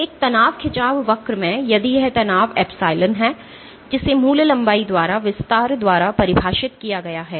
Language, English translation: Hindi, So, in a stress strain curve, in a stress strain curve if this is strain epsilon which is defined by the extension by original length